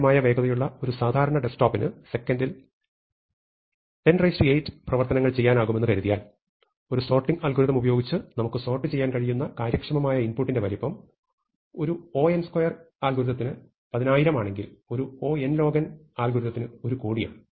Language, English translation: Malayalam, If we assume as we have said that a reasonably standard desktop machine can do 10 to the 8 operations per second, then the size of the feasible input of what we can sort with a sorting algorithm, goes from 10,000 for an n square algorithm to 10 million or 1 crore for an n log n algorithm